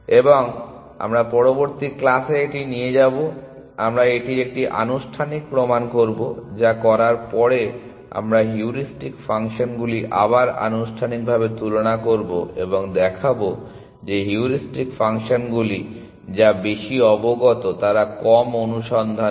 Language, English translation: Bengali, And we will take this up in the next class we will do a formal proof of this essentially after we do that we will compare heuristic functions again formally and show that heuristic functions are which are more informed they do lesser search